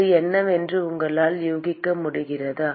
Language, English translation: Tamil, Can you guess what that is